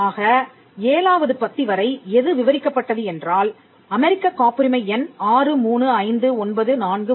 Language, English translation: Tamil, So, till para 7, what was described was and you can see here US patent number 635943